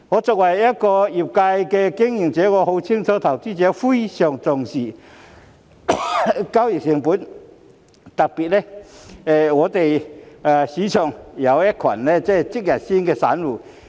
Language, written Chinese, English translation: Cantonese, 作為業界經營者，我很清楚投資者非常重視交易成本，特別是市場上有一群"即日鮮"散戶。, As a business operator in the industry I am well aware that investors do attach great importance to transaction costs especially when there are a group of retail investors engaging in day - trading in the market